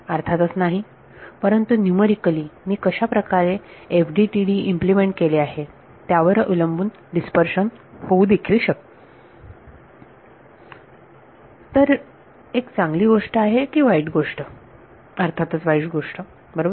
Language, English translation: Marathi, Obviously, no; but numerically dispersion may happen depending on how I have implemented FDTD so, would it be a good thing or a bad thing; obviously, a bad thing right